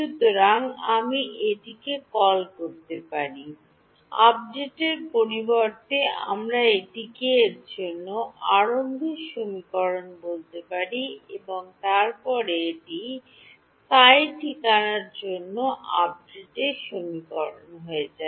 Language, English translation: Bengali, So, you can call this the, instead of update we can call this the initialization equation for psi and then this becomes the update equation for psi ok